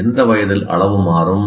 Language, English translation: Tamil, At what age the size will change